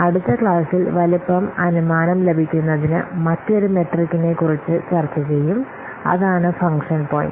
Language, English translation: Malayalam, In the next class, we will discuss about another metric for estimating size that is a function point that will discuss in the next class